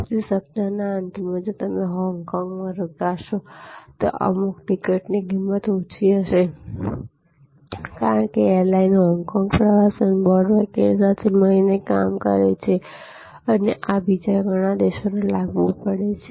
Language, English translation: Gujarati, So, the weekend if you stay in Hong Kong then some of the ticket will be at a price which is lower, because the airline works in conjunction with Hong Kong tourism board and so on and this is applicable to many other countries